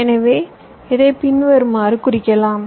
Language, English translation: Tamil, so this i represent as follows